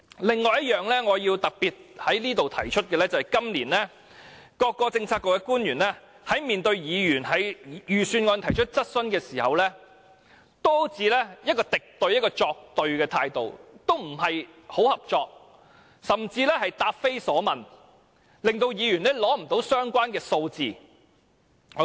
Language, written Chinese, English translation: Cantonese, 另一方面，我要特別在此指出，今年各政策局官員在面對議員就預算案提出的質詢時，均以一種敵對或作對的態度作出回應，似乎不太合作，甚至答非所問，令議員無法獲得相關數字。, On the other hand I have to specially point out here that when answering questions raised by Members on the Budget this year officials of various bureaux and departments tended to adopt a hostile or confrontational attitude . They were not very cooperative and even gave irrelevant answers rendering it impossible for Members to obtain the relevant information